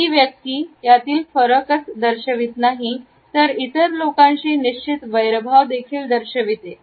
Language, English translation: Marathi, The person shows not only a noted in difference, but also a definite hostility to other people